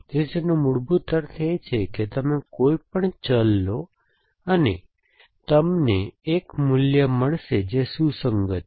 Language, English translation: Gujarati, So, it basically means that you take any variable and you will find one value which is consistent